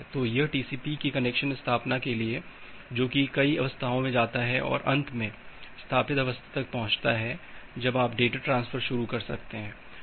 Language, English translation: Hindi, So, this is for the connection establishment of TCP that it moves to this multiple states, and finally reaches to the established state when you can initiate data transfer